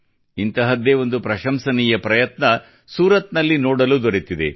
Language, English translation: Kannada, One such commendable effort has been observed in Surat